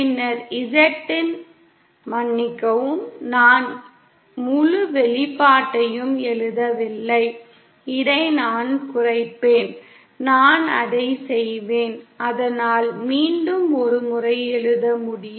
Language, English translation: Tamil, Then Z in, sorry I didn’t write the whole expression, I will cut this down I’ll just do it so that I can write it once again